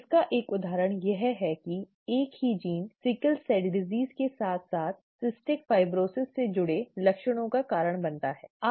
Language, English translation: Hindi, An example is from this the same gene causes symptoms associated with sickle cell disease as well as cystic fibrosis, okay